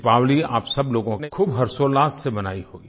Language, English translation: Hindi, All of you must have celebrated Deepawali with traditional fervour